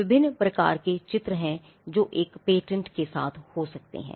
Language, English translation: Hindi, There are different kinds of drawings that can be that can accompany a patent